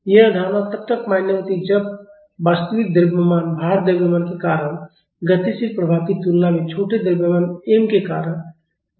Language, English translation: Hindi, This assumption is valid when the dynamic effect due to the small mass m is negligible compared to the dynamic effect due to the actual mass, the load mass